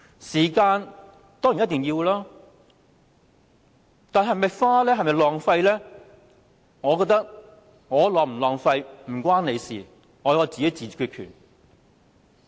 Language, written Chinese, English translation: Cantonese, 時間當然一定要付出，但是否浪費，我覺得我是否浪費時間與你無關，我自有決定權。, We certainly have to sacrifice our time . As to whether our time is wasted it is up to me to decide and is none of his business